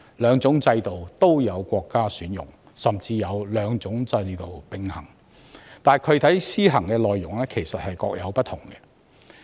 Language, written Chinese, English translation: Cantonese, 兩種制度都有國家選用，甚至有國家兩種制度並行，但具體施行內容卻各有不同。, The two systems are adopted by different countries and some countries have even adopted both systems concurrently but the implementation details of the systems are different